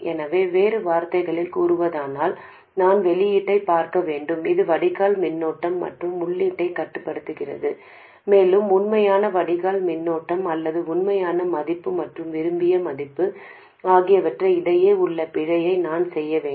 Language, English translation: Tamil, So, in other words, I have to look at the output which is the drain current and control the input and I have to do it in such a way that the error between the actual drain current or the actual value and the desired value becomes smaller and smaller